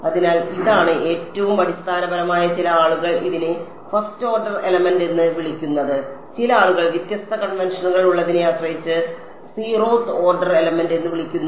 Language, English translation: Malayalam, So, this is the most basic some people call it first order element some people call it zeroth order element depending they have different conventions